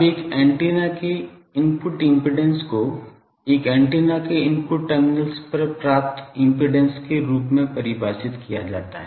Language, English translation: Hindi, Now, input impedance of an antenna is defined as the impedance that is presented at the input terminals of an antenna